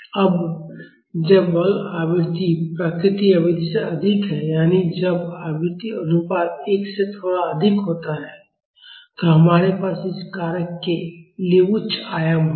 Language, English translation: Hindi, Now when the forcing frequency is higher than the natural frequency; that is when the frequency ratio is slightly higher than 1, we will have high amplitude for this factor